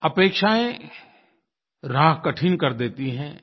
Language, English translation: Hindi, Expectations make the path difficult